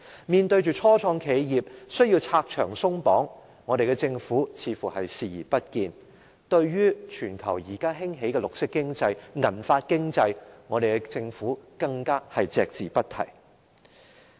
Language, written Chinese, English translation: Cantonese, 面對初創企業需要拆牆鬆綁，我們的政府卻始終視而不見，對於現時全球興起的綠色經濟、銀髮經濟，我們的政府更加是隻字不提。, Star - ups in Hong Kong need the Government to remove barriers and lift restrictions but the Government simply turns a blind eye to them . Likewise the Government mentions nothing about the worldwide emergence of the green economy and the silver economy